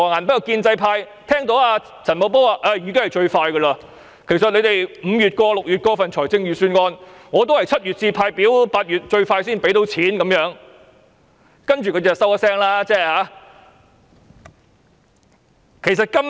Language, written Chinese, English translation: Cantonese, 不過，建制派聽到陳茂波表示，即使立法會5月或6月通過預算案，他也會在7月派發表格 ，8 月"派錢"，這已經是最快的安排，他們便無話可說。, However Paul CHAN said that even if the Legislative Council passed the Budget in May or June application forms would be distributed in July and the money would be disbursed in August . That was the quickest arrangement . Upon hearing Paul CHANs words pro - establishment Members made no further comments